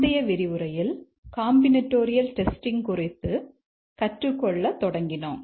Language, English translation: Tamil, In the lecture, in the last lecture we had started to discuss about combinatorial testing